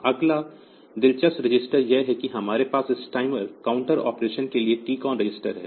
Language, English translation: Hindi, Next interesting register, the that we have for this timer counter operation is the TCON register